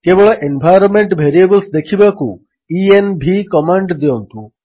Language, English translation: Odia, To see only the environment variables, run the command env